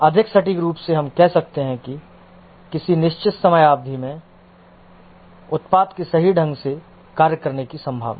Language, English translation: Hindi, More accurately, you can say that the probability of the product working correctly over a given period of time